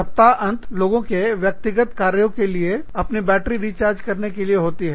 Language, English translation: Hindi, The weekend is meant for people, for your personal work, for recharging your batteries